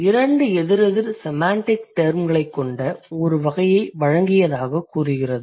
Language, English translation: Tamil, It says, given a category with two opposite semantic terms